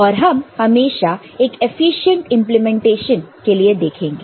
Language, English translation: Hindi, And we will always look for an efficient implementation